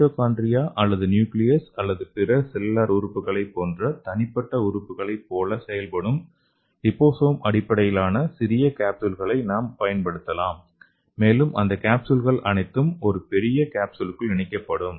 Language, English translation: Tamil, So we can use the liposome based small capsules, so the each capsules can act like a mitochondria or nucleus or other cellular organelles, and all those capsules will be in a big size capsules okay